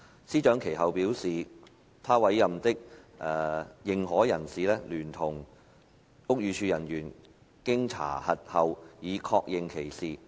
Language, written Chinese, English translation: Cantonese, 司長其後表示，她委任的認可人士聯同屋宇署人員經查核後已確認此事。, SJ subsequently stated that an authorized person appointed by her and personnel of the Buildings Department had after verification confirmed the matter